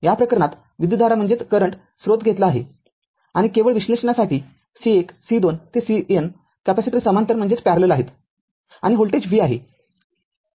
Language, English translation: Marathi, In this case current source is taken and just for analysis right and C 1 C 2 up to C N capacitors are in parallel right and voltage v